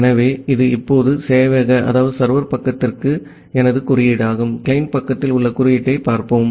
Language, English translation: Tamil, So, this is my code for the sever side now, let us look into the code at the client side